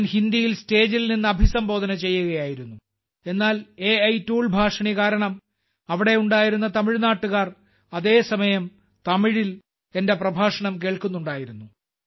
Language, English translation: Malayalam, I was addressing from the stage in Hindi but through the AI tool Bhashini, the people of Tamil Nadu present there were listening to my address in Tamil language simultaneously